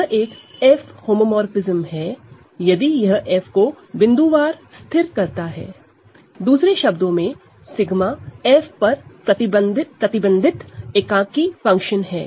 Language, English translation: Hindi, It is an F homomorphism, if it fixes F point wise, or in other words, sigma restricted to F is the identity function on F, ok